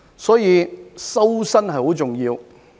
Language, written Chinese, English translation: Cantonese, 所以，"修身"很重要。, Therefore it is very important to cultivate our persons